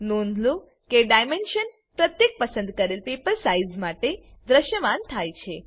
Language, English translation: Gujarati, Note that paper size dimensions are displayed for every selected paper size